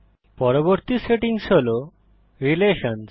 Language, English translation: Bengali, Next setting is Relations